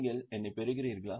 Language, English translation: Tamil, Are you getting me